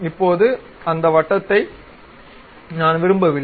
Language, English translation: Tamil, Now, I do not want this circle